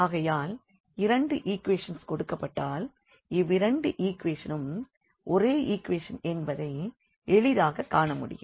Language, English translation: Tamil, Because, when these two equations are given it was easy to see that these two equations are the same equation